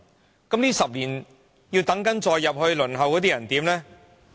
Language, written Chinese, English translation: Cantonese, 在這10年中，繼續加入輪候冊的人怎辦？, What about the new applicants during these 10 years?